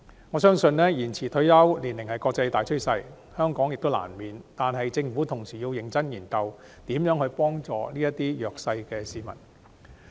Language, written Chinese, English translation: Cantonese, 我相信延遲退休年齡是國際大趨勢，香港亦在所難免，但政府同時要認真研究如何協助這些弱勢市民。, I believe extension of retirement age is an international trend which Hong Kong cannot avoid . Yet the Government at the same time should seriously study how to render assistance to such disadvantaged people